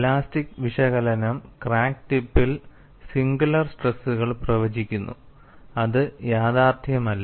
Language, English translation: Malayalam, An elastic analysis predicts singular stresses at the crack tip, which is unrealistic